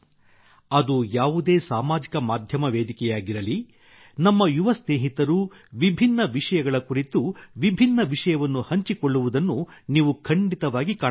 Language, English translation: Kannada, No matter what social media platform it is, you will definitely find our young friends sharing varied content on different topics